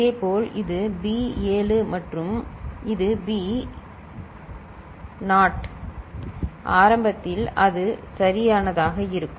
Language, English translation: Tamil, Similarly this is B 7 and this is B naught so, this is the way initially it is put right